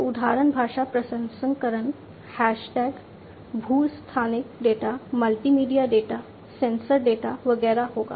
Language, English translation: Hindi, So, example would be language processing, hash tags, geo spatial data, multimedia data, sensor data, etcetera